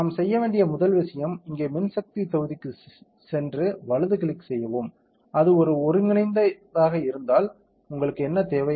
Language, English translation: Tamil, So, first thing that we have to do is go to the electric current module here right click, if it pass an integral what do you need